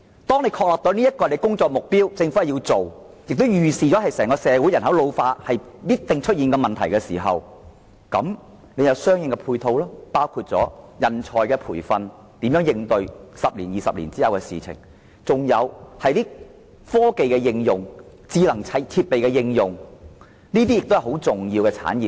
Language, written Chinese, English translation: Cantonese, 當政府確定這是工作目標的時候，而且預測整個社會人口必定會因老化而出現這些問題的時候，便須進行相關的配套工作，包括培訓人才以應對10至20年後的情況，在加上科技、智能設備的應用，這些都是十分重要的產業。, When the Government is certain that the silver hair economy is its work target and predicts the entire society will have to face these problems due to an ageing population relevant matching work will have to be undertaken including training manpower to cope with the situation in 10 to 20 years from now . Coupled with technology and the application of smart equipment these industries are crucial